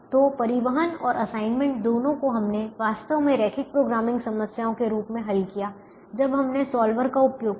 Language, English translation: Hindi, so both the transportation and assignment, we have actually solve them as linear programming problems when we used the solver